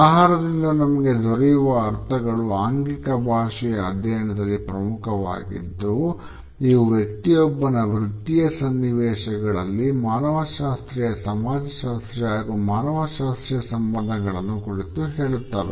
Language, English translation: Kannada, The connotations which we have from food are important in the studies of body language because it imparts us various associations with the anthropological, sociological and psychological makeup of individuals in any professional situations